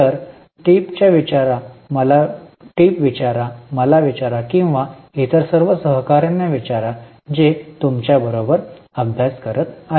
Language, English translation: Marathi, So, ask to TAs, ask to me or ask to all other colleagues who are also studying with you